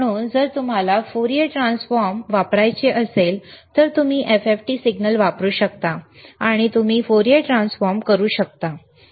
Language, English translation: Marathi, So, if you want to do Fourier transform, you can use FFT signal and you can do Fourier transform